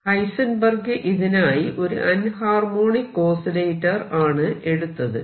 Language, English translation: Malayalam, He took an approach whereby he considered the anharmonic oscillator